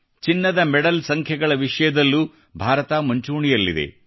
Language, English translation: Kannada, India also topped the Gold Medals tally